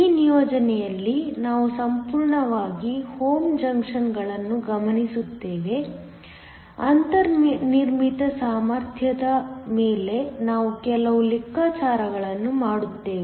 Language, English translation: Kannada, In this assignment, we will focus fully on the homo junctions; we will do some calculations on the built in potential